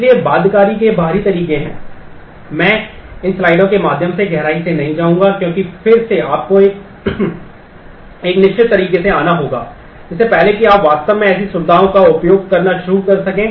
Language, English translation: Hindi, So, there are external ways of binding, I will not go through these slides in depth, because again the you will have to come a certain way before you can actually start using such features